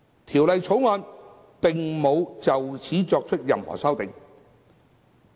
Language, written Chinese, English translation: Cantonese, 《條例草案》並無就此作出任何修訂。, The Bill has not made any amendment thereto